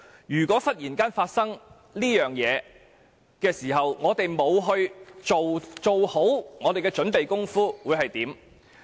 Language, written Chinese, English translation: Cantonese, 如果忽然發生這個情況，如果我們沒有做好準備，真的不知道將會怎樣呢？, If this occurs suddenly while we are not readily prepared I really do not know what will happen